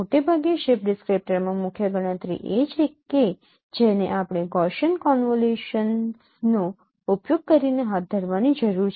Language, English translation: Gujarati, Mostly in the shift descriptor the major computation that we need to carry out by using the Gaussian convolution